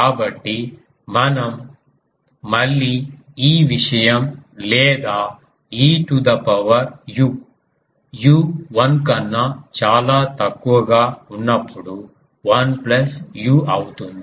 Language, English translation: Telugu, So, we may again use this thing or e to the power e to the power u becomes 1 plus u when u is much much less than 1